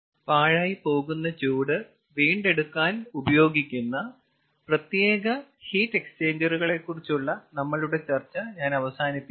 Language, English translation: Malayalam, i come to an end regarding our discussion of special heat exchangers which are used for waste heat recovery